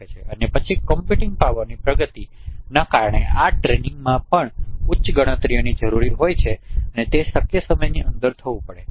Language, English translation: Gujarati, And then the advancement of computing power because this training also requires high computations and it has to be done within a feasible time